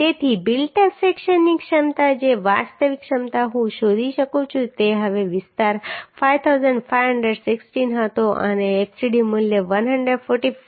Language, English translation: Gujarati, 15 MPa So capacity of the built up section the actual capacity I can find out now the area was 5516 and the fcd value was 145